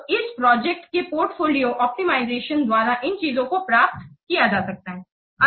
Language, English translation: Hindi, So these things can be achieved by this project portfolio optimization